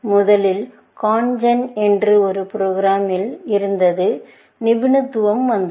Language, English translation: Tamil, Expertise came in that there was first a program called CONGEN